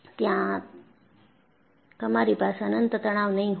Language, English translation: Gujarati, You will not have infinite stresses there